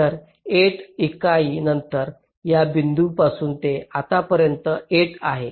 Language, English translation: Marathi, so after eight unit of from this point to this point, it is eight